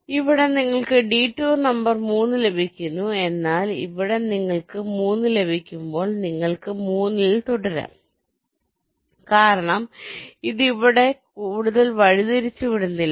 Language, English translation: Malayalam, so here, detour number three, you are getting, but here, as you get three, you can continue with three because this is no further detour here